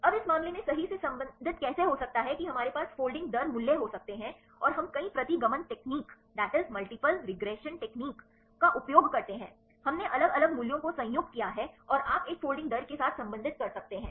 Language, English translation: Hindi, Now how to relate right in this case we can we have the folding rate values and we use multiple regression technique right we combined a the different values and you can relate with a folding rates